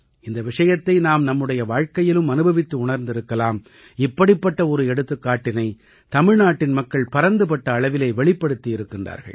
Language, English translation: Tamil, We experience this in our personal life as well and one such example has been presented by the people of Tamil Nadu on a large scale